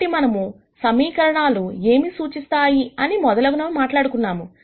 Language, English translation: Telugu, Now, that we have talked about what equations represent and so on